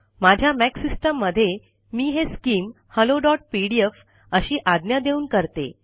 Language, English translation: Marathi, In my Mac system, I do this by issuing the command skim hello.pdf